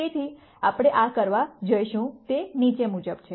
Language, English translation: Gujarati, So, the way we are going to do this, is the following